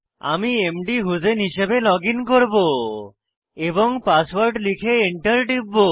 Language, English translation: Bengali, I will login as mdhusein and give the password and press Enter